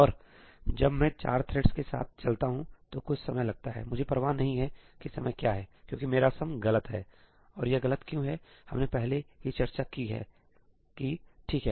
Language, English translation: Hindi, And when I run with four threads it takes some time, I do not care what the time is because my sum is incorrect; and why is it incorrect we have already discussed that, right